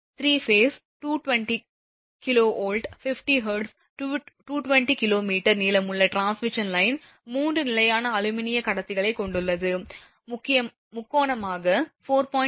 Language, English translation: Tamil, A 3 phase 220 kV, 50 hertz, 200 kilometre long transmission line consist of 3 standard aluminium conductors, spaced triangularly at 4